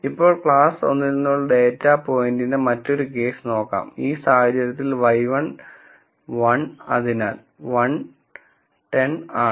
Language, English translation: Malayalam, Now, let us look at the other case of a data point belonging to class 1, in which case y i is 1 so, 1 minus 1 0